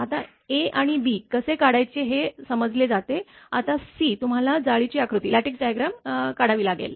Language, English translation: Marathi, Now, how to your draw the now a and b done, now you have to draw the lattice diagram right